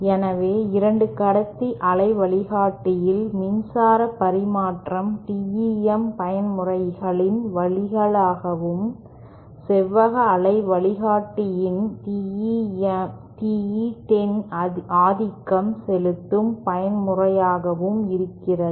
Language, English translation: Tamil, So, in a 2 conductor waveguide, the power transmission is through the TEM mode and in a rectangular waveguide, TE 10 is the dominant mode